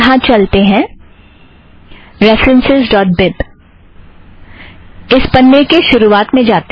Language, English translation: Hindi, lets come here, ref.bib, lets go to the top of this page